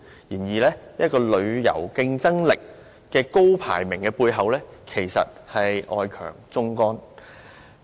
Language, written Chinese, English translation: Cantonese, 然而，旅遊競爭力的高排名背後，其實外強中乾。, However behind the high ranking of its competitiveness the tourism industry is actually outwardly strong but inwardly weak